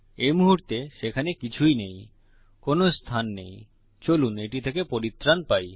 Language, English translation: Bengali, Theres nothing in there at the moment no space lets get rid of that